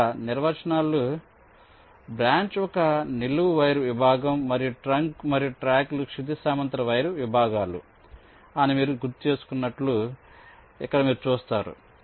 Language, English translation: Telugu, you recall the definitions: branch is a vertical wire segment and trunk and tracks are horizontal wire segments